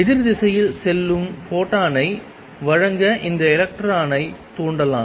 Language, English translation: Tamil, It can stimulate this electron to give out the photon going the opposite direction